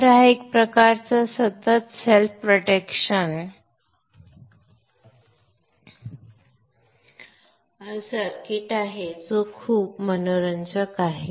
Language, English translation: Marathi, So this is a kind of a continuous self protection circuit